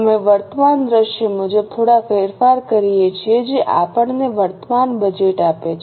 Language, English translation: Gujarati, We make a few changes as per the current scenario which gives us the current budget